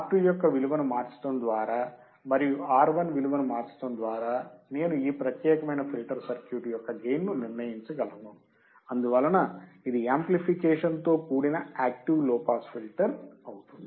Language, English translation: Telugu, By changing the value of R2 and by changing the value of R1, I can decide the gain of this particular filter circuit, and thus it becomes active low pass filter with amplification